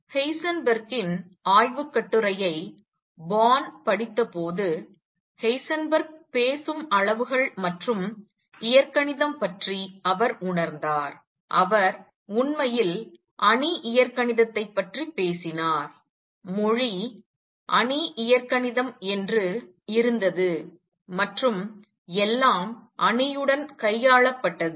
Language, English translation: Tamil, Born on reading Heisenberg’s paper realized that the quantities that Heisenberg was talking about and the algebra, he was talking about was actually that of matrix algebra; the language was that of matrix algebra and everything was dealt with matrices